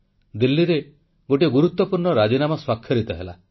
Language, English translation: Odia, A significant agreement was signed in Delhi